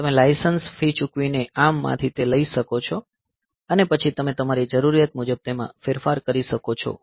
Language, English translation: Gujarati, So, you can take that from the ARM, by paying the license fee, and then you can modify it as per your requirement